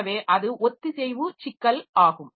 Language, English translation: Tamil, So, that is the synchronization problem